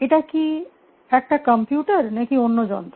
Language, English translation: Bengali, Is the computer a machine